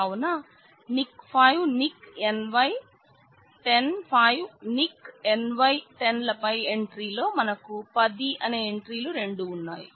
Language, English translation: Telugu, So, Nick, 5 Nick NY, then we have 10, 5 Nick NY 10, this entry and we have two entries of 10 and 10 here